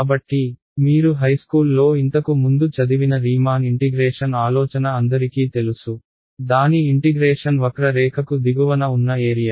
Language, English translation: Telugu, So, everyone knows intuitively the idea of Riemann integration that you studied earlier in high school probably, its integration is area under the curve right